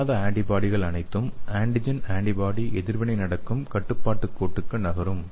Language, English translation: Tamil, All the unbound antibody will move to the control line where antibody, antibody reaction will happen, okay